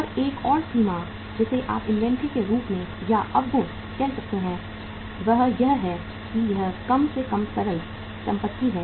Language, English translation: Hindi, And another limitation you can call it as or demerit of inventory also is that it is least liquid asset